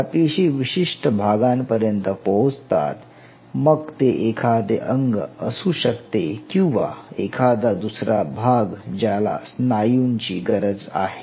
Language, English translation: Marathi, Now these cells reach the specific side, maybe it may be a limb or some other part wherever the skeletal muscles are needed